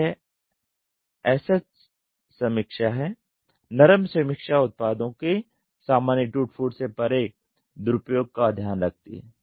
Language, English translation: Hindi, So, this is SH review, the soft review looks into the careless misuse of products by user beyond normal wear and tear